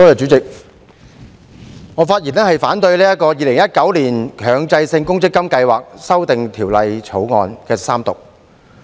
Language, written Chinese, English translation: Cantonese, 主席，我發言反對《2019年強制性公積金計劃條例草案》三讀。, President I am speaking in opposition to the Third Reading of the Mandatory Provident Fund Schemes Amendment Bill 2019 the Bill